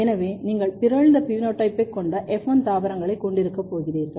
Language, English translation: Tamil, So, you are going to have F1 plants with mutant phenotype